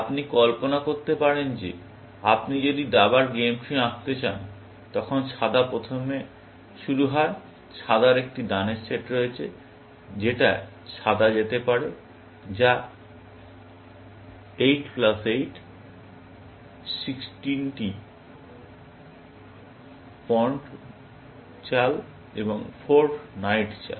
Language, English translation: Bengali, You can imagine that if you want draw a game tree for chess and white starts first; white has a set of moves that white can make, which is 8 plus 8, 16 pond moves plus 4 knight moves